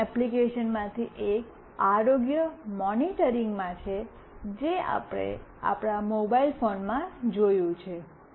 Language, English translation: Gujarati, One of the burning applications is in health monitoring that we have seen in our mobile phones